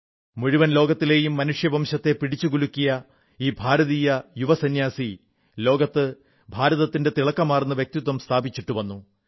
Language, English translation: Malayalam, This young monk of India, who shook the conscience of the human race of the entire world, imparted onto this world a glorious identity of India